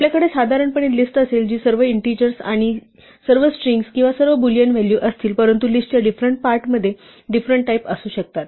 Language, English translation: Marathi, While we will normally have list which are all integers or all strings or all Boolean values it could be the case that different parts of a list have different types